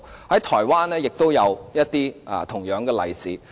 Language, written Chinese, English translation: Cantonese, 在台灣也有同樣的例子。, This is also the case in Taiwan